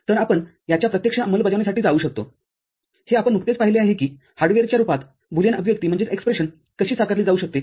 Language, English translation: Marathi, So, we can go for direct implementation of this, the way we have just seen that how a Boolean expression can be realized in the form of hardware